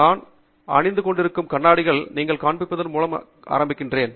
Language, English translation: Tamil, I started by showing you the goggles that I was wearing